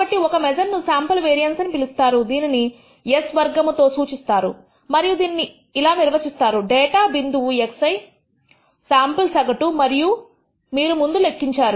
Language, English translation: Telugu, So, one of the measures is what to call the sample variance denoted by the symbol s squared and that is de ned as the data point x i minus the sample average that you have already computed